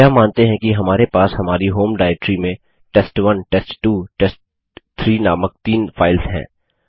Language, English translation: Hindi, We assume that we have three files named test1 test2 test3 in our home directory